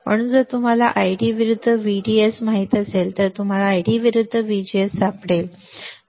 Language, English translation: Marathi, So, easy if you know ID versus VDS you can find ID versus VGS